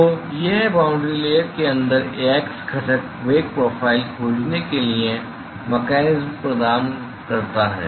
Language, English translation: Hindi, So, that provides the mechanism to find the x component velocity profiles inside the boundary layer ok